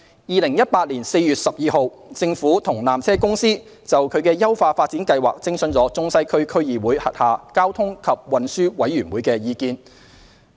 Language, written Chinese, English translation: Cantonese, 2018年4月12日，政府與纜車公司就其優化發展計劃徵詢中西區區議會轄下交通及運輸委員會的意見。, On 12 April 2018 the Government and PTC consulted the Transport and Traffic Committee of the Central and Western District Council on PTCs upgrading plan